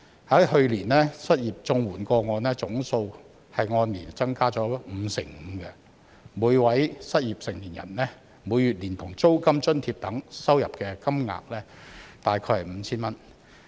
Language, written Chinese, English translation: Cantonese, 去年失業綜援個案總數按年增加了五成五，每位失業成年人每月連同租金津貼等收到的金額大概是 5,000 元。, A year - on - year increase of 55 % has been registered in the total number of CSSA unemployment cases in the previous year and each unemployed adult can receive approximately 5,000 per month including rent allowance etc